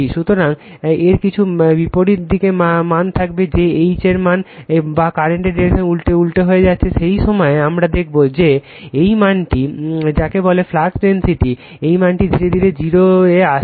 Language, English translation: Bengali, So, some value of will be there in the reverse direction that H value or you are reversing the direction of the current, at that time you will find that this value right your what you call this flux density right, this value you are slowly and slowly coming to 0